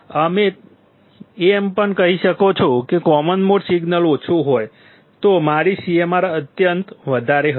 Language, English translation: Gujarati, You can also say that if a common mode signal is low; my CMRR would be extremely high